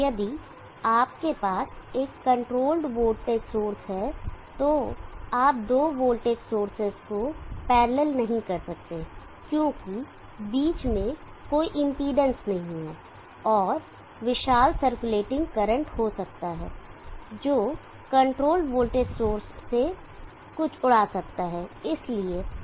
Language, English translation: Hindi, If you have a controlled voltage source you cannot parallel to voltage sources, because there is no impedance in between and there can be huge circulating current which can blow something in the control voltage source